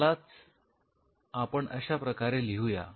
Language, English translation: Marathi, So, let us put it like this